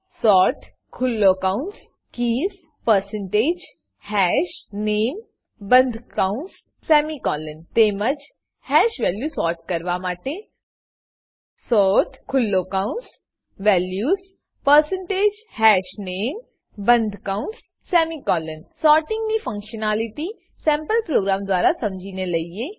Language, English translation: Gujarati, Syntax to sort keys is sort open bracket keys percentage hashName close bracket semicolon Similarly, we can sort hash values as sort open bracket values percentage hashName close bracket semicolon Let us understand sorting functionality using a sample program